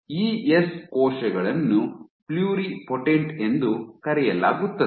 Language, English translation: Kannada, ES cells ESCs are called pluripotent